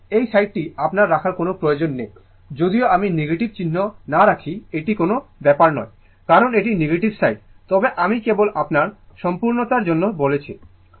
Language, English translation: Bengali, So, this side no need to put your even if I do not put what you call the negative sign is does not matter, because this is negative side, but just to for the sake of your completeness